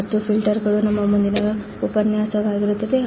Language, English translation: Kannada, And filters will be our next lecture